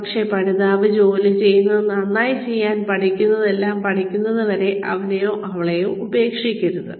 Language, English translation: Malayalam, But, do not abandon him or her, till the learner has learnt whatever there is to learn, in order to do the job as well as possible